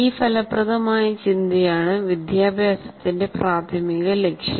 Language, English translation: Malayalam, Productive thinking that is the main purpose of education